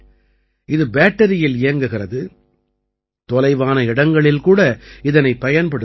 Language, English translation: Tamil, It runs on battery and can be used easily in remote areas